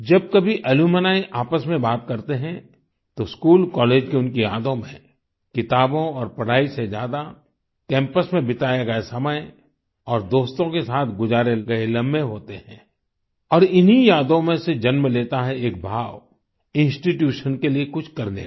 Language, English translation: Hindi, Whenever alumni interact with each other, in their memories of school or college, greater time is given to reminiscing about time on campus and moments spent with friends than about books and studies, and, from these memories, a feeling is bornto do something for the institution